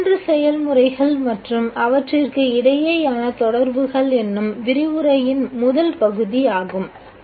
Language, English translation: Tamil, This is what is the first part of the lecture namely the three processes and the relations between them